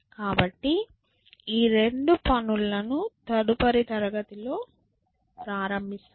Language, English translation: Telugu, So, these two things we will do in the next class to start with